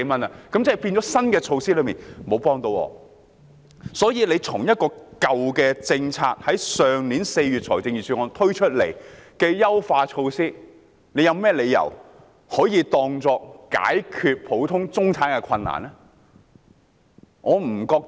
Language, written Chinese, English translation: Cantonese, 因此，局長怎可以舊的政策——去年4月財政預算案推出的優化措施——當作解決普通中產人士困難的妙招？, So how can the Secretary take forward an old policy as a clever solution to the difficulties facing the average middle - class people?